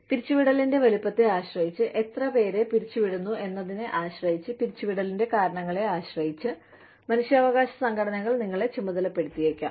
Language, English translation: Malayalam, We, depending on the size of the layoff, depending on, how many people are laid off, depending on, the reasons for the layoff, human rights organizations, may take you to task